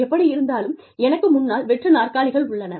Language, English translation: Tamil, Anyway, there are empty chairs in front of me